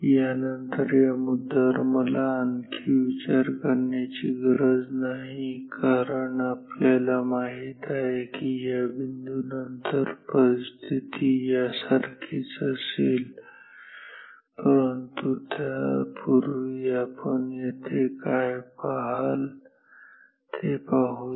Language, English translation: Marathi, After, this point I need not consider anymore because you know after this point the situation will be similar to this ok, but before that let us see what will you see here